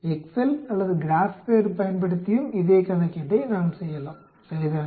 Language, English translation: Tamil, We can also do the same calculation using excel or Graphpad also, right